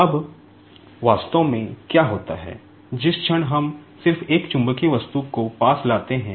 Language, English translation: Hindi, Now, actually, what happens, the moment we just bring one magnetic object near to that